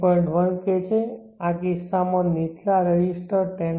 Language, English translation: Gujarati, 1 K in this case the lower resistor is 10